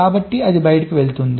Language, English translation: Telugu, like that it goes on